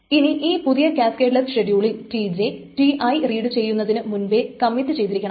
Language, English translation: Malayalam, In this new casketless schedule, TJ must commit even before TTI has read